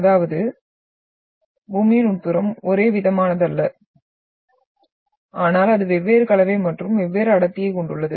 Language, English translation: Tamil, That is interior of Earth is not homogeneous but it is having different composition and different density